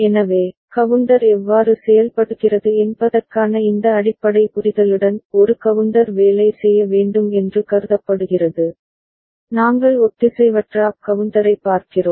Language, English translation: Tamil, So, with this basic understanding of how counter works a counter is supposed to work, we look at asynchronous up counter